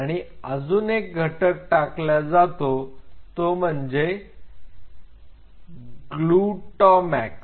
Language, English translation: Marathi, And there is another component which is added which is called glutamax